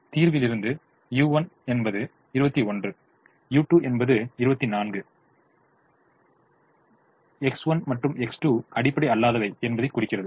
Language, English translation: Tamil, from the solution u one is twenty one, u two is twenty four implies x one and x two are non basic